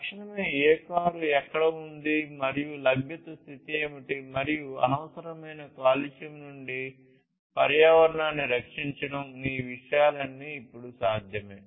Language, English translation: Telugu, Instantly you know which car is where, and what is the availability status, and protecting the environment from unnecessary pollution all of these things are now possible